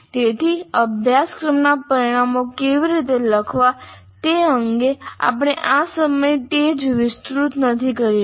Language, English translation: Gujarati, So we are not going to elaborate at this point of time how to write course outcomes